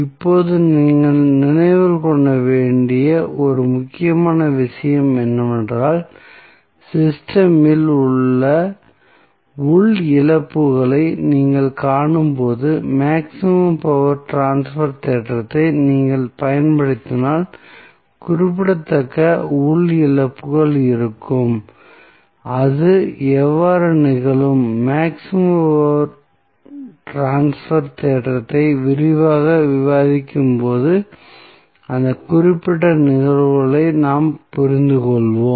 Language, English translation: Tamil, Now, 1 important thing which you have to keep in mind that, when you see the internal losses present in the system, and if you apply maximum power transfer theorem, it means that there would be significant internal losses, how it will happen, when we will discuss the maximum power transfer theorem in detail, we will understand this particular phenomena